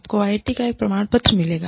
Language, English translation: Hindi, You will get a certificate from IIT